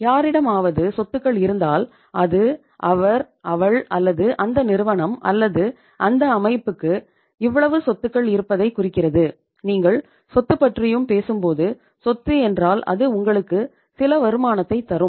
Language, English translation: Tamil, If anybody has the assets, it indicates he, she or that firm or that organization has this much amount of the properties and when you talk about anything is the asset anything is the property means it will give you some return